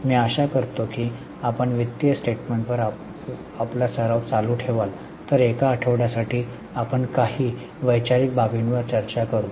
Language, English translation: Marathi, I am hoping that you will continue your practice on the financial statements while for a week we will discuss on certain conceptual aspects